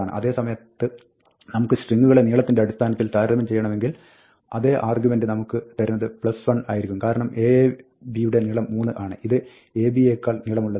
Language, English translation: Malayalam, If, on the other hand, we want to compare the strings by length, then, the same argument would give us plus 1, because, aab has length 3 and is longer than ab